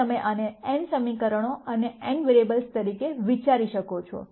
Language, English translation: Gujarati, Now you can think of this as n equations and n variables